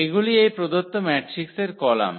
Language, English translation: Bengali, These are the columns of this given matrix